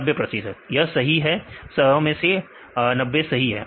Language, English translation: Hindi, 90 percent because 90 are correct; out of 100, 90 is correct